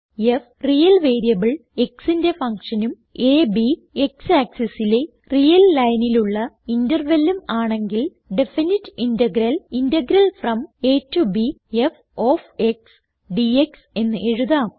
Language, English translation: Malayalam, So, given a function f of a real variable x and an interval a, b of the real line on the x axis, the definite integral is written as Integral from a to b f of x dx